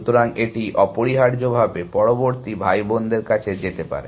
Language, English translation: Bengali, So, that it can move to the next siblings essentially